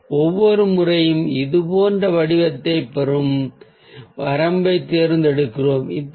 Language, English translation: Tamil, so every time we choose a range that gets a shape like this